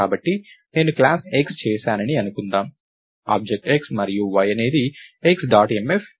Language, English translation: Telugu, So, lets say I did class X, object x and y is x dot mf